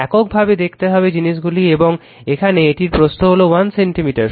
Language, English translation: Bengali, Independently will see how things are and here this is your thickness of this is 1 centimeter